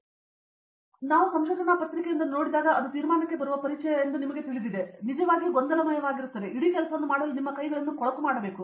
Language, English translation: Kannada, So when we see a research paper it look’s very nice you know from introduction to conclusion, but it’s really messy you have to get your hands dirty to do the whole job